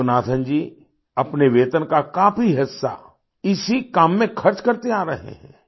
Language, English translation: Hindi, Yoganathanji has been spending a big chunk of his salary towards this work